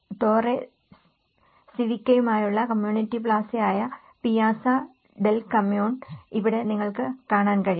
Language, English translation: Malayalam, Here, you can see that the Piazza del Comune, the community plaza with Torre Civica